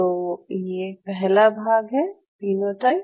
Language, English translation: Hindi, So, this is part one the phenotype